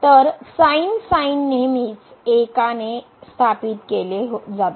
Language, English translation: Marathi, So, the is always founded by one